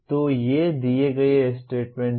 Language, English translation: Hindi, So these are the statements given